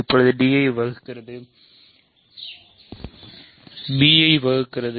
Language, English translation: Tamil, So, now, d divides b a does not divide b